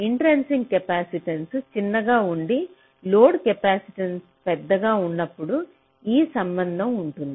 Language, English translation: Telugu, this is for the case when the intrinsic capacitance are small and the load capacitance is larger